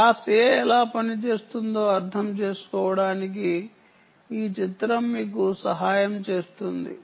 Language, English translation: Telugu, this picture will help you understand how class a works